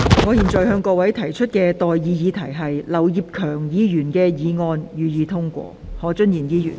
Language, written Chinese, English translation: Cantonese, 我現在向各位提出的待議議題是：劉業強議員動議的議案，予以通過。, I now propose the question to you and that is That the motion moved by Mr Kenneth LAU be passed